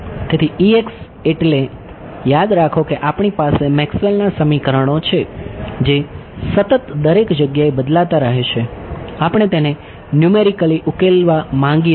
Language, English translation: Gujarati, So, E x so, remember we have Maxwell’s equations which are continuously varying everywhere, we want to solve it numerically